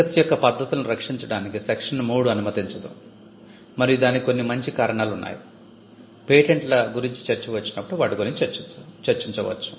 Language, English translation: Telugu, Section 3 does not allow methods of treatment to be protected and there are some sound reasons for that, when we come across when we come to the issue of patents in detail, we can discuss that